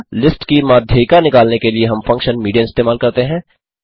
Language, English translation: Hindi, To get the median we will simply use the function median